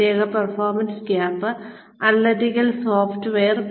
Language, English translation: Malayalam, Special performance gap analytical software